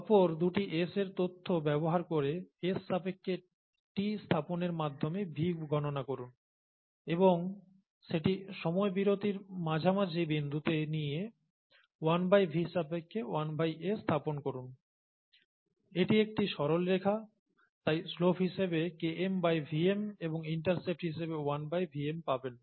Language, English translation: Bengali, So from S versus t data calculate V using two successive datapoints S, of S and assign it to the midpoint of the time interval there and then 1 by V versus 1 by S, straight line, Km by Vm as a slope and 1 by Vm as the intercept